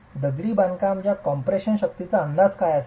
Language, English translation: Marathi, What would be an estimate of the compressive strength of masonry